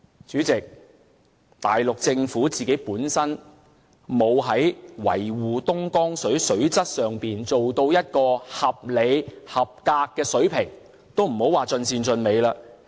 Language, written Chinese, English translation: Cantonese, 主席，內地政府沒有在維護東江水水質上做到一個合理、合格的水平，更別說盡善盡美了。, Chairman the Mainland Government is unable to maintain the quality of the Dongjiang water at a reasonable and acceptable level let alone a perfect standard